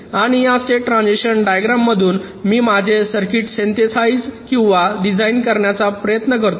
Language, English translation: Marathi, this is what you want and from this state transition diagram we try to synthesize or design my circuit